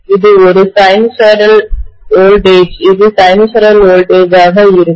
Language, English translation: Tamil, And this is a sinusoid, sinusoidal voltage, this is going to be a sinusoidal voltage, okay